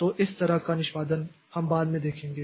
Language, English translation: Hindi, So, this type of execution we'll see later